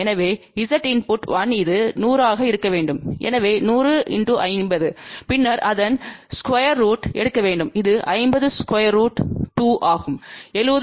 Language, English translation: Tamil, So, Z input 1 we want this to be a 100, so 100 multiplied by 50 and then we have to take square root of that which comes out to be 50 square root 2 and that comes out to be 70